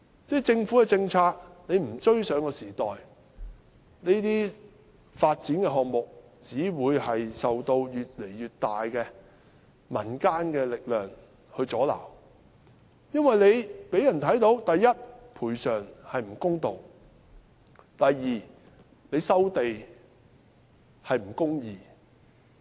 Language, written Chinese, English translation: Cantonese, 若政府的政策追不上時代，這些發展項目只會受到越來越大的民間阻撓，因為這讓人看到：第一，賠償不公道；第二，收地不公義。, If the Governments policy fails to keep abreast of the times these development projects will only meet growing resistance in the community because it shows first unfairness in compensation; and second injustice in land resumption